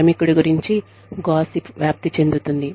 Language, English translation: Telugu, Gossip is spread about the worker